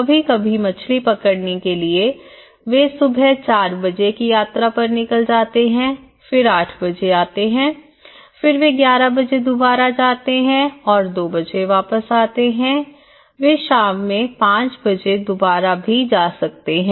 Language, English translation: Hindi, Sometimes, depending on the fish catch, they travel at morning four o clock they come at morning eight again they might go at 11:00 and they might come back at 2:00 they might go to evening 5:00